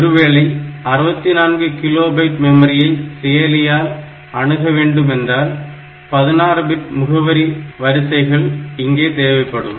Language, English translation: Tamil, So, if it is accessing 64 kilobyte of memory, then I need 16 address bit lines 2 power 16